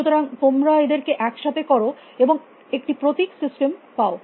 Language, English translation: Bengali, So, you put them together you have a symbol system